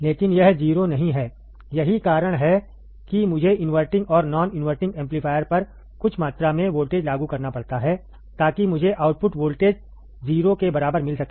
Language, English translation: Hindi, But it is not 0, that is why I have to apply some amount of voltage, at the inverting and non inverting amplifier so that I can get the output voltage equal to 0